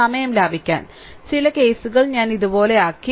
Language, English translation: Malayalam, To save the time, some cases I made it like this